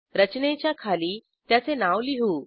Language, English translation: Marathi, Lets write its name below the structure